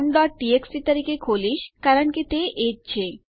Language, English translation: Gujarati, Ill open that as count.txt because thats what it is